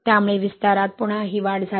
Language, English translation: Marathi, So, that led to again this increase in expansion